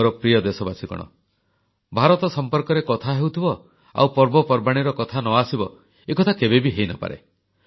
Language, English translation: Odia, My dear countrymen, no mention of India can be complete without citing its festivals